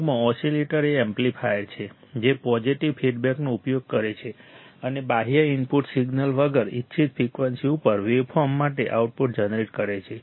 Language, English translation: Gujarati, In short, an oscillator is an amplifier, which uses a positive feedback, and without an external input signal, generates an output for waveform at a desired frequency